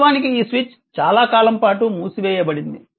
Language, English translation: Telugu, So, when the switch was open for a long time